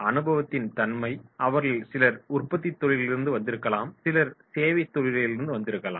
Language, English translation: Tamil, And the nature of experience, some of them might be coming from manufacturing industries, some of them might be coming from service industries